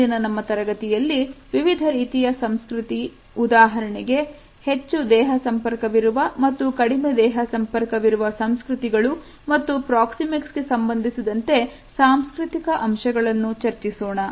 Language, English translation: Kannada, In our next discussion we would take up the different types of cultures for example, high contact and low contact cultures as well as the cultural aspects related with our understanding of proxemics